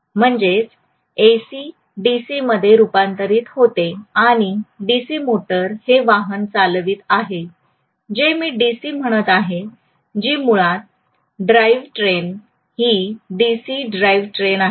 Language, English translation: Marathi, So that is AC transmitted converted into DC and the DC motor is driving the vehicle that is what I mean by DC, basically the drive train is DC drive train basically, right